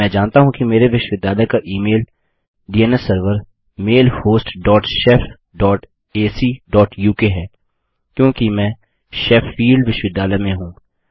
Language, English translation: Hindi, I know that my university email DNS server is mailhost dot shef dot ac dot uk because Im in Sheffield university